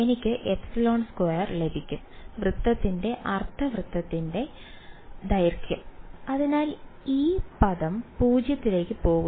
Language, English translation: Malayalam, I will get epsilon squared and the length of the circle right semicircle, so, that go to going to 0